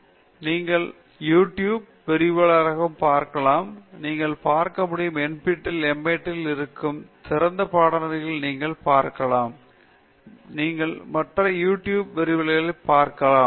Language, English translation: Tamil, Communication skills I have already told you okay; you can also look at YouTube lectures; you can look at NPTEL; you can look at open course, which are on MIT; you can look at other YouTube lectures